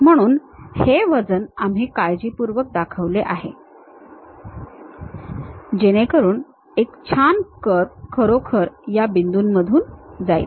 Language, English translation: Marathi, So, these weights we carefully shown it, so that a nice curve really pass through these points